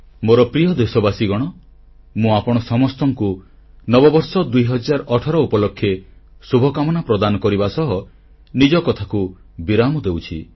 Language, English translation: Odia, My dear countrymen, with my best wishes to all of you for 2018, my speech draws to a close